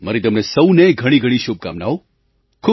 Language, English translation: Gujarati, My best wishes to you all